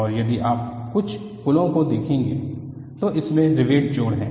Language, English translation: Hindi, And if you look at many of the bridges, they have riveted joints